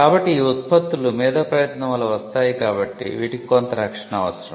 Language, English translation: Telugu, So, the fact that these products resulted from an intellectual effort needed some kind of a protection